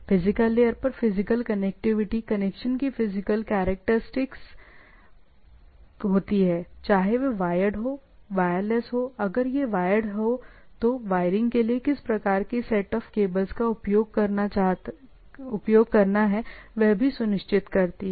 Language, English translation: Hindi, At physical layer is more of the physical connectivity is mostly the physical characteristics of the things, whether it is wired, wireless, if it is wired what set of wiring and type of things